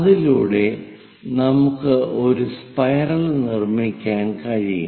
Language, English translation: Malayalam, That way, we will be in a position to construct a spiral